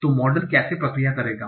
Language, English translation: Hindi, So how the model will proceed